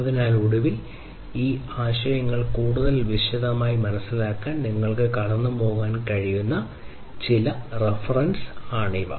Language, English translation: Malayalam, So, finally, these are some of these references that you could go through in order to understand these concepts in greater detail